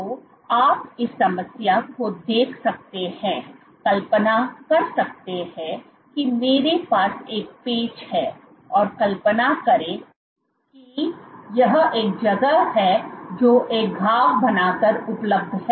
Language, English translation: Hindi, So, you can look at this problem, imagine again I have a patch and imagine this is the space which is available by creating a wound